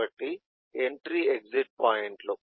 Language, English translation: Telugu, so these are basically entry point and exit point